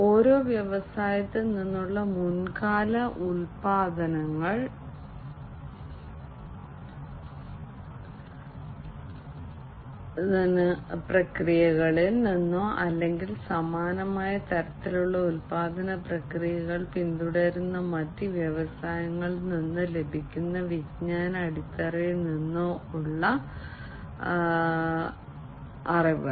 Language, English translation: Malayalam, Knowledge base from the same industry from a previous production processes, existing production processes in other units, or from the knowledge base that can be obtained from other industries following similar kind of production processes